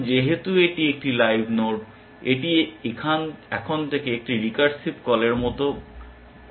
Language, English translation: Bengali, Now, since it is a live node, it is like a recursive call essentially henceforth